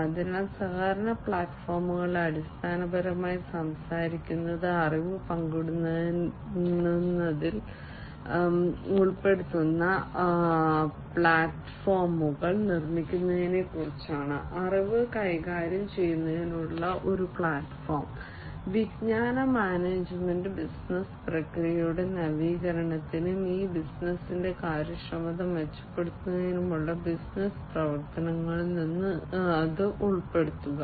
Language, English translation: Malayalam, So, collaboration platforms essentially are talking about building platforms that will include in the sharing of knowledge, a platform for managing the knowledge, knowledge management and including it in the business operation for renovation of the business processes and improving upon the efficiency of these business processes in the future